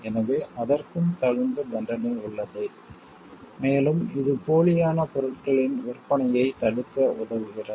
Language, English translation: Tamil, So, there is a punishment relevant punishment for that also and this helps in stopping the sale of spurious goods